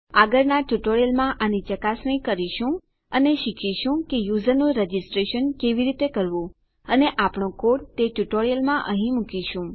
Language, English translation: Gujarati, In the next tutorial well test this out and will learn how to register the user and we will put our code here in that tutorial